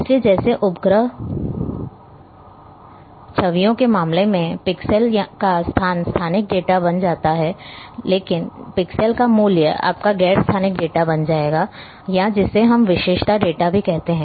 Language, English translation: Hindi, So, a like in case of satellite images, the location of a pixel will become very spatial data, but the value of the pixel will become your non spatial data or also we called as attribute data